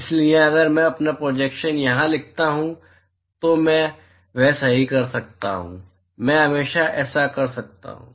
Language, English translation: Hindi, So, if I write my projection here, I can always do that right, I can always do that